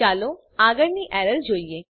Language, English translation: Gujarati, Let us look at the next error